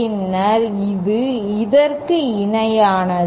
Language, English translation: Tamil, Then it is equivalent to this